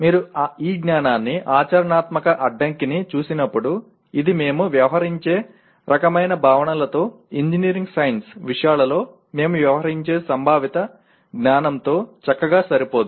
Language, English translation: Telugu, When you look at this piece of knowledge, practical constraint, it does not nicely fit with the kind of concepts that we deal with, conceptual knowledge we deal with in engineering science subjects